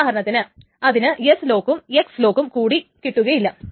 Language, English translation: Malayalam, So it cannot for example get an S lock and an X lock